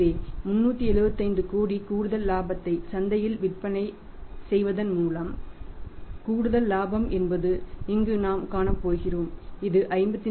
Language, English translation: Tamil, So, we have seen here that additional profit by selling it in the market for 375 crores additional profit we are going to have here is that is 54